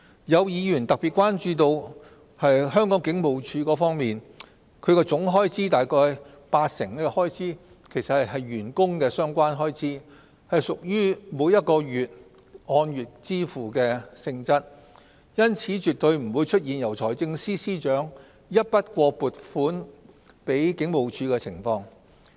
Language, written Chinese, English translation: Cantonese, 有議員特別關注到香港警務處，其總開支約八成是員工相關開支，屬於按月支付性質，因此絕對不會出現由財政司司長一筆過撥款給警務處的情況。, Some Members are particularly concerned about the Hong Kong Police . Since 80 % of its expenditures are staff - related expenditures which are paid on a monthly basis therefore a one - off funding allocated to the Hong Kong Police by the Financial Secretary will not happen